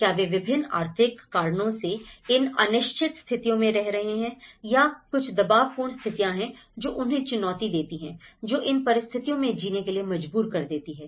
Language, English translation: Hindi, Whether, they are living on the edge for various economic reasons or there are certain pressurized situations that are challenging them, probing them to live in these conditions